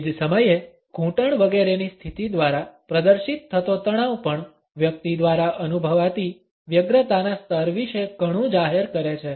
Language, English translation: Gujarati, At the same time, the tension which is exhibited through the positioning of the knees etcetera also discloses a lot about the anxiety level a person might be feeling